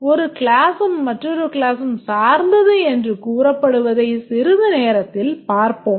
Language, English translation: Tamil, We'll see a short while from now that when does a class is said to depend on another class